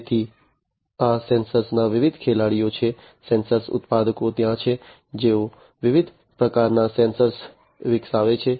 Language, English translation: Gujarati, So, there are different players of these sensors, sensor manufacturers are there who develop different types of sensors